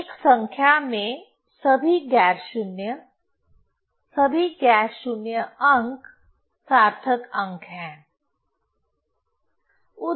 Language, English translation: Hindi, So, all non zero in a number, all non zero digits are significant figures